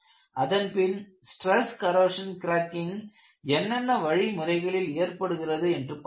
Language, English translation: Tamil, Later on, we proceeded to look at various ways, stress corrosion cracking can happen